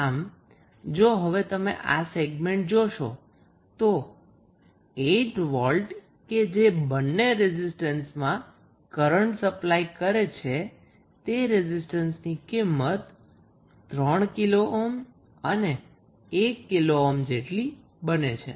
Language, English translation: Gujarati, So, from this segment, if you see this segment the 8 volt is supplying current to both of the registrants is that is 3 kilo ohm, 1 kilo ohm, both, so, this is nothing but voltage divided circuit